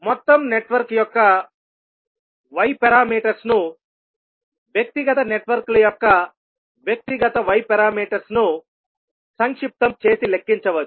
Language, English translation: Telugu, So the Y parameters of overall network can be calculated as summing the individual Y parameters of the individual networks